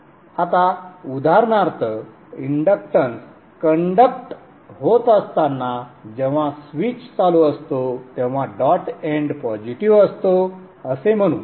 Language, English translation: Marathi, Now let us say for example when the inductance is conducting when the switch is on the dot end is positive